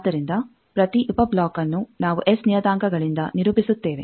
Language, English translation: Kannada, So, each sub block we characterise by S parameters